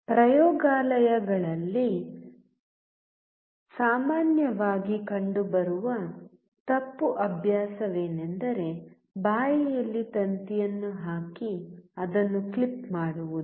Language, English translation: Kannada, A wrong practice usually seen in the laboratories is putting the wire in the mouth and clipping it out